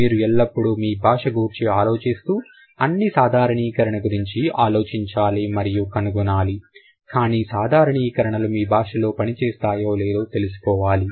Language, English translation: Telugu, You should always think about and find out all the generalizations whether they work for your language or not